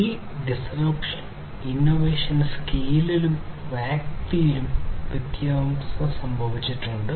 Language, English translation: Malayalam, And this disruption and innovation has happened in both the scale and scope